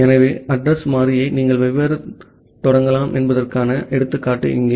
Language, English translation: Tamil, So, here is an example how you can initiate the address variable